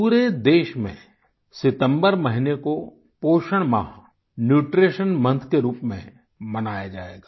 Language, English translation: Hindi, The month of September will be observed as Nutrition Month in the entire nation